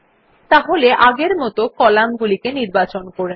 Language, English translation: Bengali, So first select these columns as we did earlier